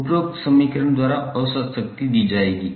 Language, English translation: Hindi, Average power would be given by this particular equation